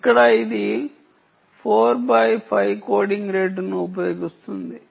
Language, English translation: Telugu, right here it uses four by five coding rate